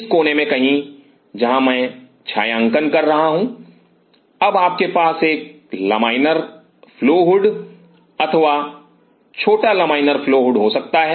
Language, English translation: Hindi, Somewhere in this corner, where I am shading now you could have a laminar flow hood or small laminar flow hood